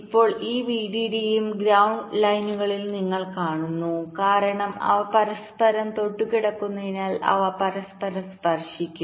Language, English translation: Malayalam, now this vdd and ground lines, you see, since the placed side by side they will be touching one another